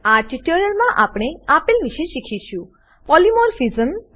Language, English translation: Gujarati, In this tutorial we will learn, Polymorphism